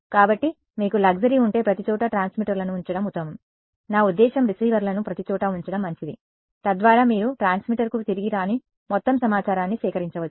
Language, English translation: Telugu, So, if you have the luxury it is better to put transmitters everywhere I mean receivers everywhere so that you can collect all of the information that does not come back to the transmitter